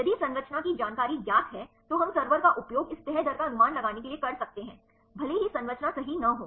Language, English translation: Hindi, If the structure information known then we can use the server to predict this folding rate even if the structure is not known right